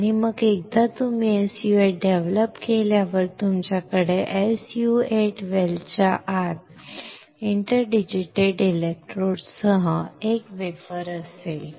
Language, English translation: Marathi, And then once you develop the SU 8 you will have a wafer with your interdigitated electrodes inside the SU 8 well